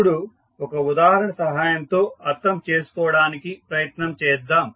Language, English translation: Telugu, Now, let us understand with the help of the example